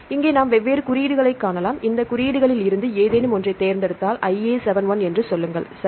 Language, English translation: Tamil, So, here we can see the different codes and if you select any of these codes say 1A71, right